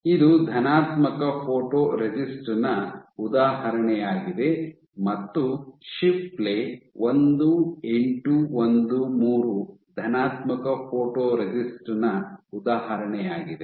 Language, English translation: Kannada, So, this is an example of positive photoresist and example is Shipley 1813 is an example of positive photoresist